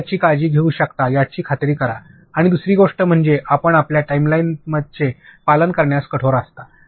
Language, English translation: Marathi, Make sure that you can take care of this and another thing is you be very strict in adhering to your timeline